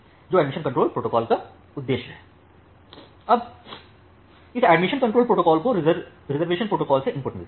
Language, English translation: Hindi, Now, this admission control protocol get input from the reservation protocol